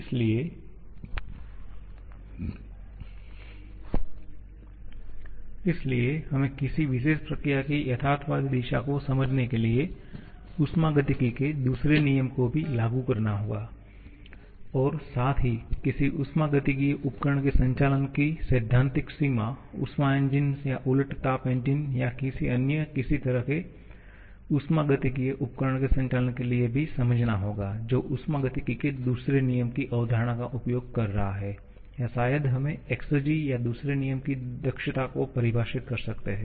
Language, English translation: Hindi, And therefore only reliance solely upon the first law may lead to the situation like a PMM2 and therefore we also have to apply the second law of thermodynamics to understand the realistic direction of any particular process and also to understand the theoretical limit of operation of any thermodynamic device, a heat engine or reversed heat engine or any other similar kind of thermodynamic device for which using the concept of second law of thermodynamics or maybe the exergy we can define a second law efficiency